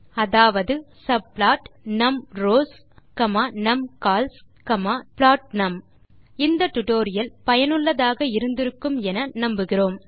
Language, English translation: Tamil, subplot(numrows,numCols,plotNum) So we Hope you have enjoyed and found it useful.